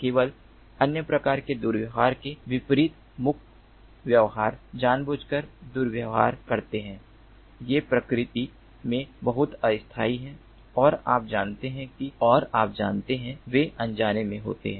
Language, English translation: Hindi, unlike other kinds of misbehaviors, intentional misbehaviors, these are very temporary in nature and you know they occur unintentionally